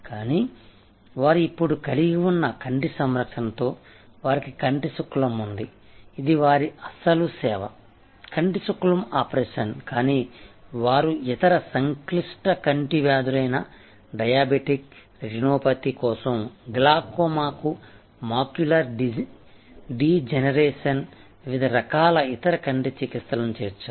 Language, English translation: Telugu, But, with an eye care they have now, they have cataract, which was their original service, cataract operation, but they have added so many different types of other eye treatments, whether for diabetic retinopathy, macular degeneration for glaucoma, for different kinds of other complex eye diseases